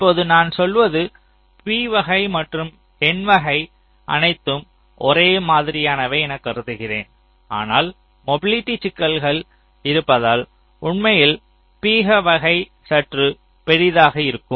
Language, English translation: Tamil, now what i am saying is that, well, i am assuming that ah, this p type and n type are all identical, but actually p type will be slightly bigger because of the mobility issues